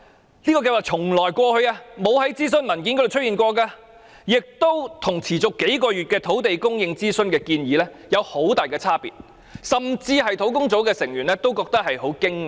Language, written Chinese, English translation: Cantonese, 這個計劃過往從未在任何諮詢文件中出現，並與持續數月土地供應諮詢的建議差別極大，甚至連專責小組成員亦感到相當驚訝。, This project not only has never appeared in any consultation document before but also differs greatly from the proposal put forward in the consultation on land supply spanning several months such that even members of the Task Force are greatly surprised